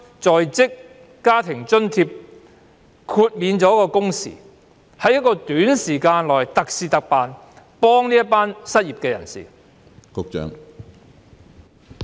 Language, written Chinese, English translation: Cantonese, 在職家庭津貼方面，可否豁免工時要求，容許在短期內特事特辦，以協助失業人士？, Regarding the Working Family Allowance WFA can the Government make a special arrangement to waive the working hour requirements for a short period of time so as to help the unemployed?